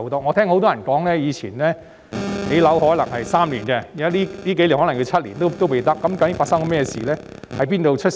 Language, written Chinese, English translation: Cantonese, 我曾聽很多人說以往建樓可能需時3年，但近數年的情況是可能花上7年也未成事。, I have heard many people saying that it might take three years to build a building in the past but in recent years the project may remain uncompleted even after seven years